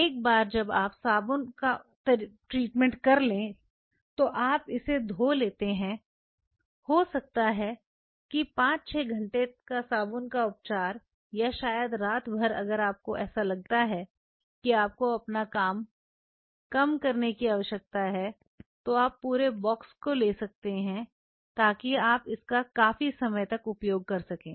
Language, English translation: Hindi, Once you do the soap treatment then you wash it, may be a soap treatment of 5 6 hours or maybe overnight if you feel like that we you know you reduce your you take a bunch of them the whole box so, that you can use it over a period of time